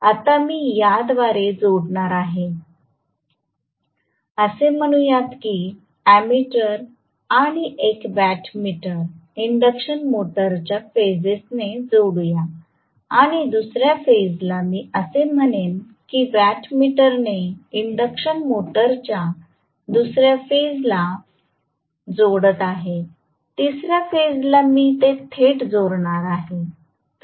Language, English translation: Marathi, Now, I am going to connect this through let us say a watt meter to the phases of the induction motor along with an ammeter and second phase let me say again I am connecting through a watt meter to the second phase of the induction motor, third phase I am going to connect it directly